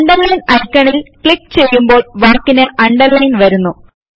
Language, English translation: Malayalam, Clicking on the Underline icon will underline your text